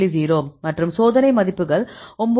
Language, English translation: Tamil, 0 and the experimental is 9